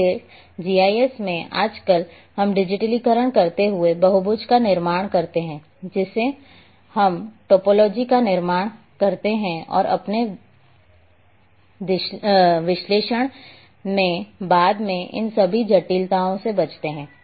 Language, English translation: Hindi, So, in GIS nowadays while digitizing we construct the polygon we construct the topology and keep avoid all these complications later on in our analysis